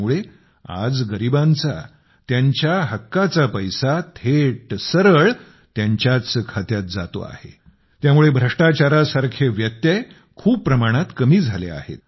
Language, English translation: Marathi, Today, because of this the rightful money of the poor is getting credited directly into their accounts and because of this, obstacles like corruption have reduced very significantly